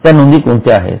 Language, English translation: Marathi, What these items are